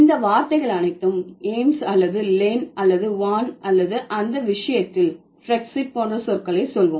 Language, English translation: Tamil, So, all these words, Ames or or Lan or Van or for that matter, let's say the words like Brexit for that matter